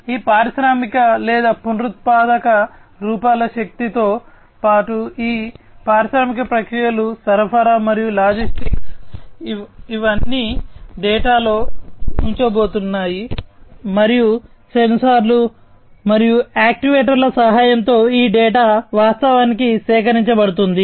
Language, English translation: Telugu, So, these industrial processes with the help of these traditional or renewable forms of energy plus supply and logistics these are all going to show in this data, and with the help of the sensors and actuators, this data are going to be in fact collected